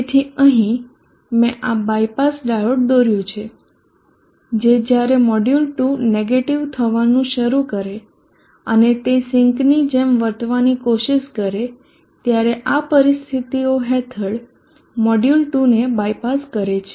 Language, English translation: Gujarati, So here I have drawn this bypass diode here which is I passing module 2 under conditions when the module 2 starts going negative, that is module 2 when it try to behave like a sink is bypass would effectively take module2 out of the circuit